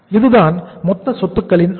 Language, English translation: Tamil, So what is the level of total assets